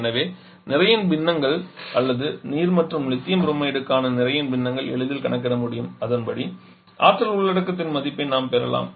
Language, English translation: Tamil, So from where we can easily calculate the mass fractions or the mass fractions for the water and lithium bromide in the lines and accordingly we can get the value of the energy content